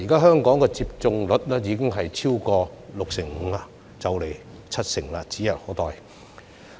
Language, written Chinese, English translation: Cantonese, 香港現時的接種率已經超過六成五，七成接種率指日可待。, Given that the vaccination rate in Hong Kong has been over 65 % the rate of 70 % can very likely be reached soon